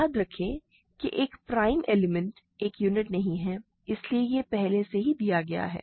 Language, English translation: Hindi, Remember a prime element is automatically not a unit, so that is already given